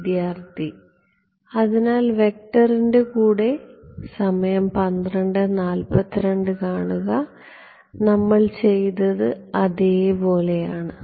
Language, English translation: Malayalam, So with the vector is and we did the same as